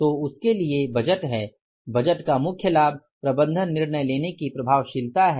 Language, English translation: Hindi, So for that budgeting, the major benefit of budgeting is the effectiveness of management decision making